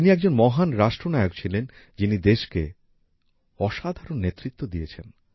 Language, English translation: Bengali, He was a great statesman who gave exceptional leadership to the country